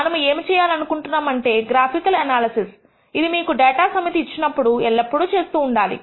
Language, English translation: Telugu, What we want to do is also graphical analysis this is something that you should always do when you are given a data set